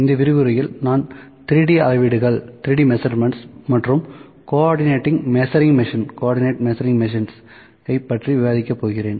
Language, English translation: Tamil, In this lecture I will discuss 3D measurements and Co ordinate Measuring Machine